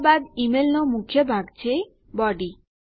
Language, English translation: Gujarati, Then we have the body of the email so body